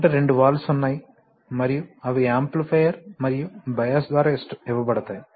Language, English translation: Telugu, So you have two valves and they are fed through an amplifier and a bias right